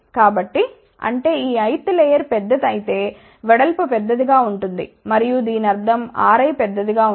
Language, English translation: Telugu, So; that means, if this I th layer is large then width will be large and that would mean R i will be large ok